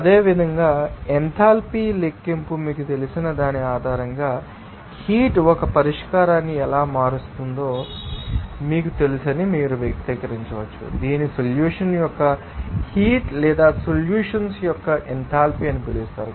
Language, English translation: Telugu, Similarly, you can express that you know how heat will be changing a solution based on that you know enthalpy calculation that is called as a heat of solution or enthalpy of the solution